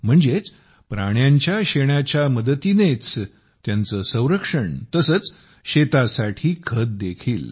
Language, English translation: Marathi, That is, the animals' protection using animal waste, and also manure for the fields